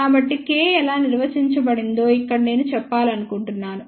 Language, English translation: Telugu, So, here I want to mention how K is defined